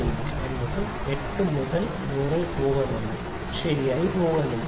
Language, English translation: Malayalam, 8 is not going in 8 by 100 is not going in properly